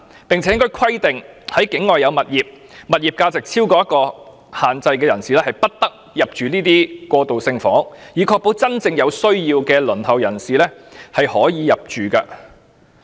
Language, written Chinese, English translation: Cantonese, 政府亦應規定，如申請人在境外所持有的物業價值超出某個水平，他們便不得入住過渡性房屋，以確保有關單位供有真正需要的輪候人士入住。, The Government should also stipulate that if the value of the property held by the applicant outside Hong Kong exceeds a certain level heshe will not be admitted to the transitional housing unit in order to ensure that the unit is made available to those who have genuine needs